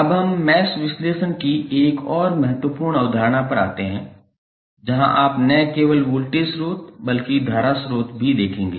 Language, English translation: Hindi, Now, let us come to another important concept of mesh analysis where you have the source is not simply of voltage source here source is the current source